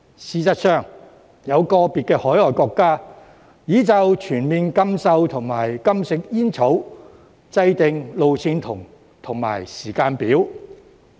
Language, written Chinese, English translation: Cantonese, 事實上，有個別海外國家已就全面禁售及禁食煙草制訂路線圖和時間表。, As a matter of fact individual overseas countries have already drawn up their roadmaps and timetables in respect of a total ban on the sale and consumption of tobacco